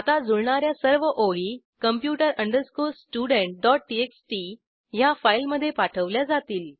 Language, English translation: Marathi, Now all the matching lines would be transferred to the file computer student.txt